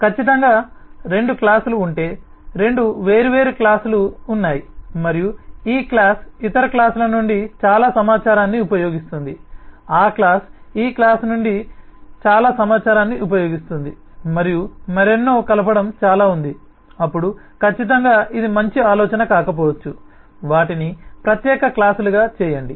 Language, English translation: Telugu, certainly, if two classes are, there are two different classes and there is a lot of coupling, that this class uses a lot of information from the other classes, that class uses a lot of information from this class, and so on, then certainly it may not have been a good idea to make them as separate classes